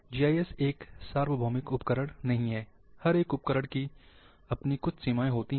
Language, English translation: Hindi, GIS is not a universal tool,each and every tool has got it’s limitations